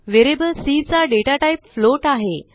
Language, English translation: Marathi, Here, float is a data type of variable c